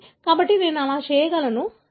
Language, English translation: Telugu, So, I can do that